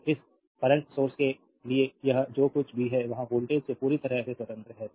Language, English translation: Hindi, So, this for this current source whatever it is there is completely independent of the voltage across the source right